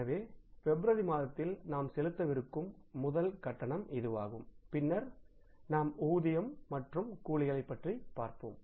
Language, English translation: Tamil, So, this is the first payment we are going to make in the month of February and then we talk about the wages and salaries